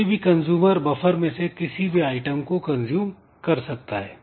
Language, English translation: Hindi, So, any consumer can consume any item from the buffer